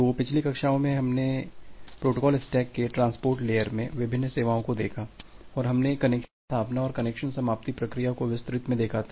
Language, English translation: Hindi, So, in the last classes you have looked various services in transport layer of the protocol stack, and we have looked into in details the connection establishment and the connection termination procedure